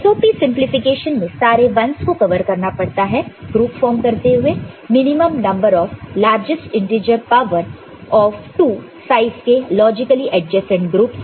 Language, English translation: Hindi, In SOP simplification all 1s need to be covered with the minimum number of largest integer power of 2 sized logically adjacent groups